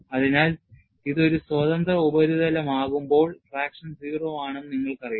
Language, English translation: Malayalam, So, when into the free surface, you know traction is 0